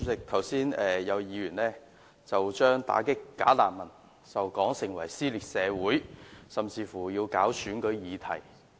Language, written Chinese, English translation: Cantonese, 主席，有議員剛才將打擊"假難民"說成是撕裂社會，選舉議題。, President some Members said earlier that combating bogus refugees is tearing society apart and that it is a topic for election campaign